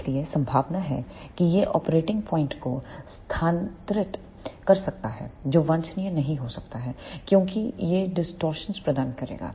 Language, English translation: Hindi, So, there are chances that it may shift the operating point which may not be desirable because it will provide the distortions